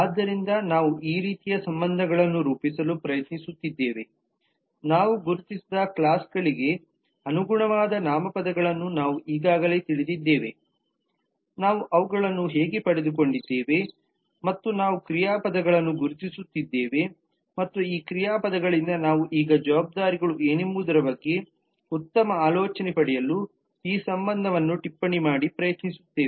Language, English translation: Kannada, so this is the kind of relationships that we are trying to set forth we already know the nouns corresponding to the classes that we have identified that is how we got them and we are identifying the verbs and from the verbs we will now try to annotate on this relationship to get a better idea of what the responsibilities could be